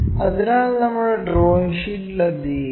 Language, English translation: Malayalam, So, let us do that on our drawing sheet